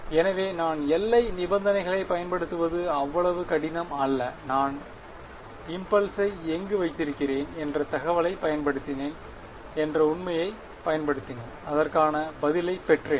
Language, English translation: Tamil, So, it was not so difficult I used the boundary conditions, I used the fact I used the information of where I have placed the impulse and I got the response